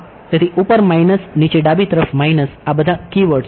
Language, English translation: Gujarati, So, top minus bottom left minus right these are the keywords alright